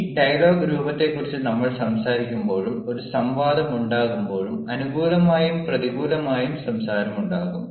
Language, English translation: Malayalam, now, when we talk about this dialogic form, even when there is a debate, there is again a sort of discourse and the discourse is between for and against